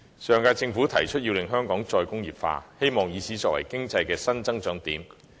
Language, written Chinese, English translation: Cantonese, 上屆政府提出香港"再工業化"的目標，希望以此作為新經濟增長點。, Putting forward the goal of re - industrialization the Government of the last term hoped to turn re - industrialization into a new area of economic growth